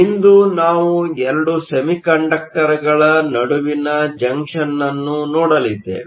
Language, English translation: Kannada, Today, we are going to look at a junction between 2 semiconductors